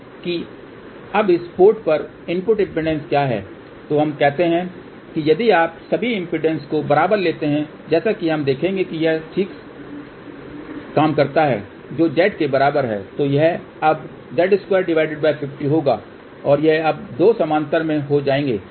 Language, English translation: Hindi, So, now what is the input impedance at this port, so let us say if you take all the impedances equal as we will see it works out fine so which is equal to Z